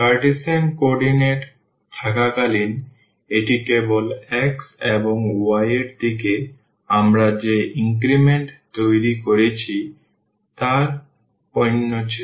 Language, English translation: Bengali, While in the Cartesian coordinate, it was simply the product of the increments we have made in the direction of x and in the direction of y